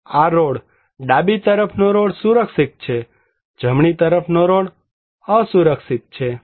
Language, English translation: Gujarati, This road; left hand side road is safe; right hand side road is unsafe